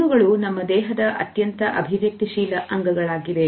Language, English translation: Kannada, Eyes are the most expressive part of our body